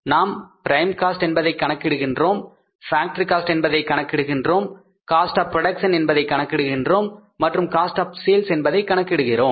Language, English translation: Tamil, We calculate the prime cost, we calculate the factory cost, we calculate the cost of production and we calculate the cost of sales